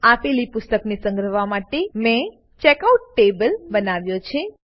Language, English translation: Gujarati, I have created Checkout table to store borrowed books